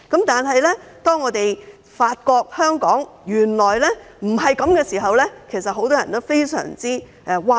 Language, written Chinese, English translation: Cantonese, 當發現香港原來不是這樣的時候，很多人都非常譁然。, Many people are very shocked when they found out that this is not the case in Hong Kong